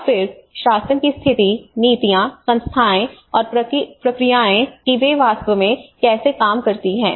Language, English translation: Hindi, And then the governance situation, the policies, institutions and the processes how they actually work